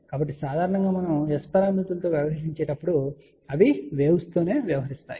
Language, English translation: Telugu, So, generally speaking when we deal with S parameters they are dealing with waves